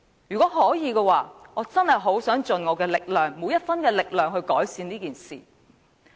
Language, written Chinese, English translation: Cantonese, 如果可以，我很想盡我每分力量去改善安老問題。, If I could I prefer to do my utmost to improve elderly care services